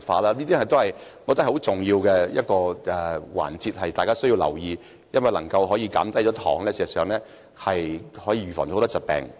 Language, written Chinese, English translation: Cantonese, 我覺得這是大家需要留意的重要環節，因為能減低糖的攝取，事實上可預防很多疾病。, I consider this an important link which warrants our attention because reduction in the intake of sugar can actually prevent a lot of diseases